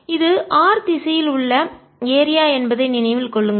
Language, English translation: Tamil, remember this is the area in direction r